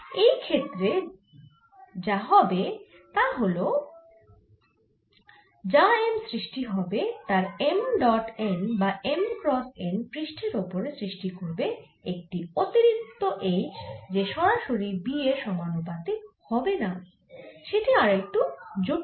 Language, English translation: Bengali, in this case, what would happen is that whatever m is produced, it'll also have m dot n or m cross n at the surfaces, and that will give rise to an additional h and the dependence will not be directly proportional to b, so that will be slightly more complicated